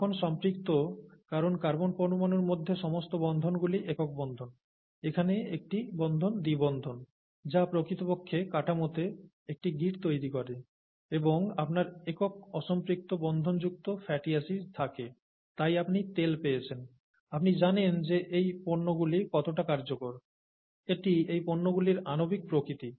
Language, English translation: Bengali, Butter, saturated because all the bonds between carbon atoms are single bonds, and here one bond is a double bond, which actually introduces a kink in the structure and you have a fatty acid with one, one bond unsaturation, and then you get oil, okay